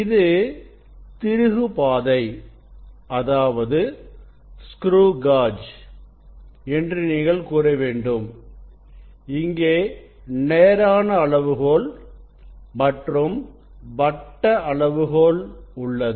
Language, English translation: Tamil, we should you can say this is the screw gauge principle; we have linear scale and circular scale